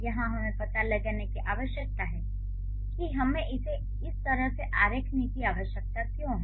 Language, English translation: Hindi, So, here we need to find out what are the, why do we need to draw it in this way